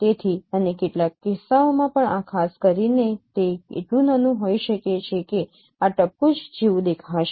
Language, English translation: Gujarati, So and in some cases even this particular it can could be so small that that this may appear like a dot